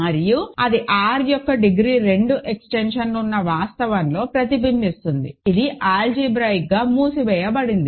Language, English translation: Telugu, And that is reflected in the fact that there is a degree 2 extension of R, which is algebraically closed ok